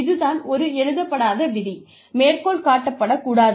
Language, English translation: Tamil, So again, this is an unwritten rule, not to be quoted